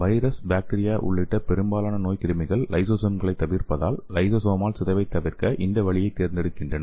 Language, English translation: Tamil, So most of the pathogens including viruses, bacteria select this way to avoid the lysosomal degradation